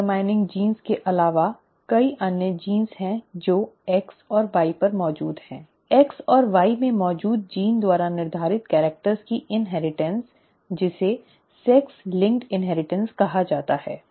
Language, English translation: Hindi, In addition to sex determining genes, there are many other genes that are present on X and Y, the inheritance of characters determined by the genes present in X and Y is what is called sex linked inheritance